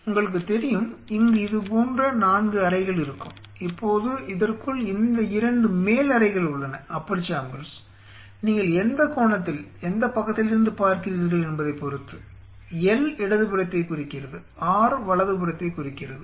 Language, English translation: Tamil, Where it has 4 chambers like this you know, now within it these are the 2 Upper chambers beginning on which angle you are looking at it from which side L stand for left R stand for right